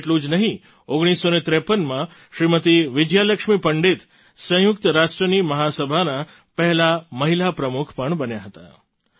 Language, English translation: Gujarati, Vijaya Lakshmi Pandit became the first woman President of the UN General Assembly